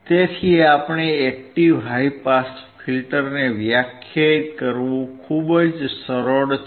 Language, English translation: Gujarati, So, it is very easy to define your active high pass filter